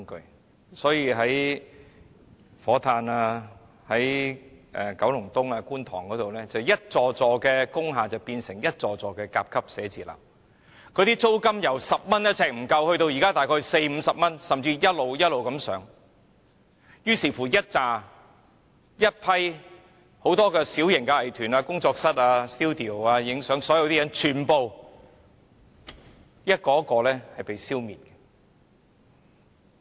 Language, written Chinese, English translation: Cantonese, 於是，那些位於火炭、九龍東、觀塘的工廠大廈，便變成一幢又一幢甲級寫字樓，租金由每呎不足10元上升至現時的約40元至50元，甚至會繼續一直上升，以致很多小型藝團、工作室、攝影 studio 被一一消滅。, Hence industrial buildings located in Fo Tan Kowloon East and Kwun Tong have all been turned into Grade A offices and their rent level has risen from below 10 per square foot to about 40 to 50 at present . It is expected that the rent level will continue to rise further thus rendering it impossible for many small art groups workshops and photo studios to rent an industrial unit for their operation